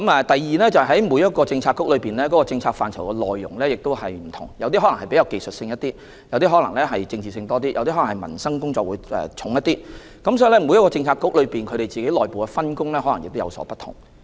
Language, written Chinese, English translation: Cantonese, 第二，各政策局的政策範疇有所不同，有些比較技術性，有些比較政治性，也有些側重民生工作，所以每個政策局的內部分工亦可能有所不同。, Second Policy Bureaux work on different policy areas . Some of them are of a more technical nature some are more political and some focus on livelihood - related issues . Therefore the division of work within each Policy Bureau may also differ